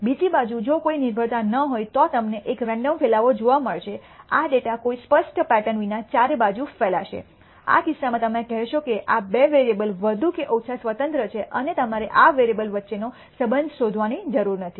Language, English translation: Gujarati, On the other hand if there is no dependency you will nd a random spread, this data will be spread all around with no clear pattern, in which case you will say that there are these two variables are more or less independent and you do not have to discover a relationship between these variables